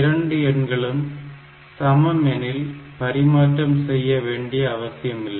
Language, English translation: Tamil, So, if the numbers are same it if the numbers are same then I do not need to interchange